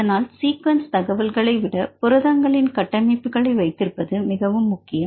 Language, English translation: Tamil, So, this is very important to have the structures of proteins right than sequence information